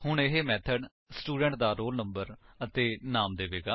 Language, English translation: Punjabi, Now, this method will give the roll number and name of the Student